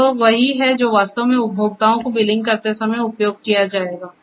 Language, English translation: Hindi, And that is what actually is used while billing the consumers